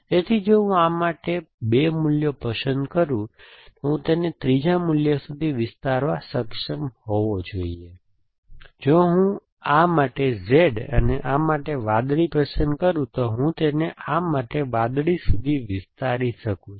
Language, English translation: Gujarati, So, if I choose 2 values for this, I should be able to extend to a third value, so if I choose Z for this and blue for this, I can extend it to blue for this